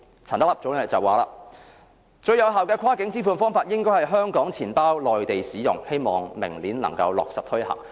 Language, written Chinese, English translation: Cantonese, 陳德霖表示，最有效的跨境支付方法，應該是香港錢包在內地使用，希望明年能夠落實推行。, Norman CHAN says that the most effective cross - border payment method should be the use of Hong Kongs mobile wallets on the Mainland and he hopes that this practice can be implemented next year